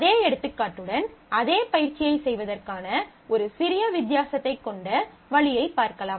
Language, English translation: Tamil, With the same example I will just show you a little different way ofdoing the same exercise